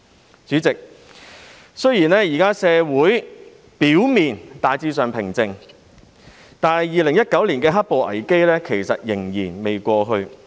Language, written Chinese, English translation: Cantonese, 代理主席，雖然現時社會表面上大致平靜，但2019年的"黑暴"危機仍未過去。, Deputy President although society appears to be generally calm now the black - clad violence crisis in 2019 is not yet over